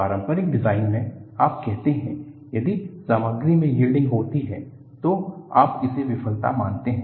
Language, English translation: Hindi, See, in conventional design, you say, if the material yields, you consider that as a failure